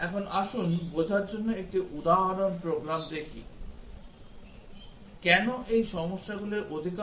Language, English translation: Bengali, Now, let us looks at an example program to understand Why this most of the problems are 2 way problems